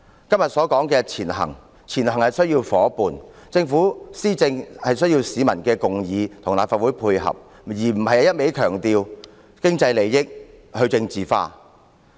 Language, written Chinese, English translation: Cantonese, 今天所說的"前行"需要有夥伴，政府施政也需要市民共議及立法會的配合，而非一味強調經濟利益和去政治化。, Todays moving forward requires partners . The Governments administration also requires consensus of the public and cooperation of the Legislative Council rather than blindly emphasizing economic interests and depoliticization